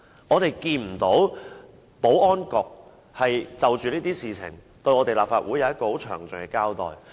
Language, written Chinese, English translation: Cantonese, 我們不曾看到保安局就這些事情，向立法會作出詳盡的交代。, We have never seen the Security Bureau giving any detailed account of these matters to the Legislative Council